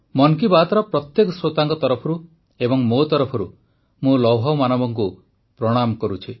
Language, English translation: Odia, On behalf of every listener of Mann ki Baat…and from myself…I bow to the Lauh Purush, the Iron Man